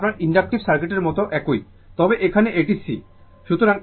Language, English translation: Bengali, It is same like your inductive circuit, but here it is C